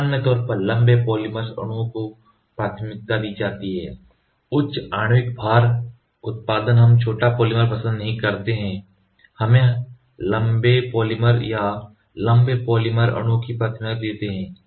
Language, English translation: Hindi, In general, long polymer molecules are preferred, yielding higher molecular weight, we do not prefer short we always prefer long polymer or longer polymer molecules